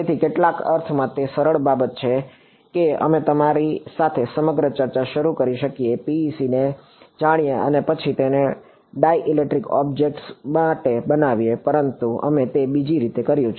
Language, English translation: Gujarati, So, in some sense it is the easier thing we could have started the whole discussion with you know PEC and then built it to dielectric objects, but we have done in that other way